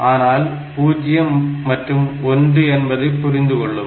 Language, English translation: Tamil, So, they will understand only zeros and ones